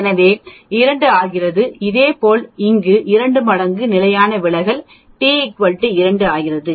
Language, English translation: Tamil, So, 2 sigma becomes 2 and similarly here 2 times standard deviation become t equal to 2